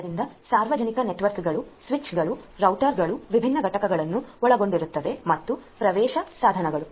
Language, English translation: Kannada, So, public networks will consist of different components such as the switches, routers and access devices